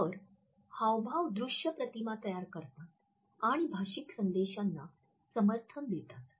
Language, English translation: Marathi, So, illustrators create visual images and support spoken messages